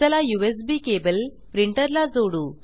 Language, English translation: Marathi, Lets connect the USB cable to the printer